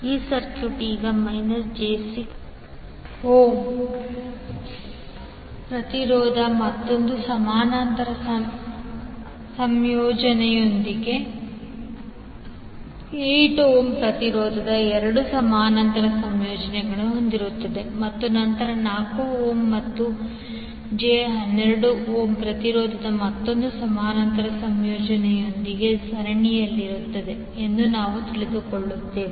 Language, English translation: Kannada, We will come to know that this circuit will now contains two parallel combinations of 8 ohm resistance in parallel with minus J 6 ohm impedance and then in series with the another parallel combination of 4 ohm and j 12 ohm impedance